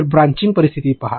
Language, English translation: Marathi, So, take branching out scenario